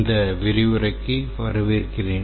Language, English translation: Tamil, Welcome to this lecture